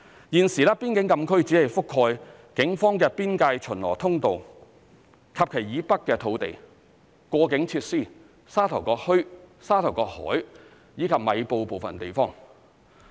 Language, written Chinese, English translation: Cantonese, 現時，邊境禁區只覆蓋警方的邊界巡邏通道及其以北的土地、過境設施、沙頭角墟、沙頭角海，以及米埔部分地方。, At present the frontier closed area only covers the boundary patrol road of the Police and areas to its north the boundary crossing facilities Sha Tau Kok Town Starling Inlet and parts of Mai Po